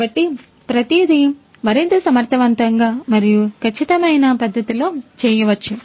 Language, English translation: Telugu, So, everything could be done in a much more efficient and precise manner